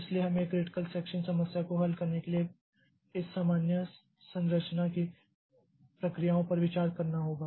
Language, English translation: Hindi, So, we have to consider the processes of this generic structure for solving the critical section, for solving the critical section problem